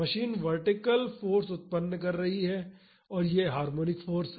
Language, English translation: Hindi, The machine generates vertical force it is a harmonic force